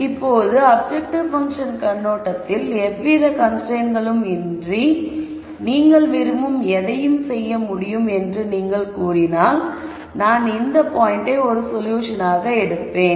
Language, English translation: Tamil, Now from an objective function viewpoint if you did not constrain me at all and you said you could do anything you want, then I would pick this point as a solution